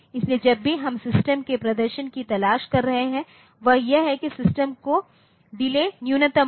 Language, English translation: Hindi, So, whenever we are looking for performance of the system that is that delay of the system will be minimum